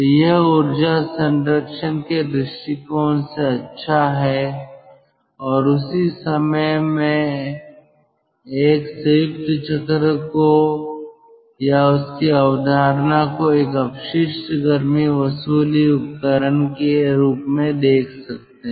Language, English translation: Hindi, so it is good from the point of view of ah, energy conservation and at the same time one can take or one can look into the combined cycle, the concept of combined cycle, as a waste heat recovery device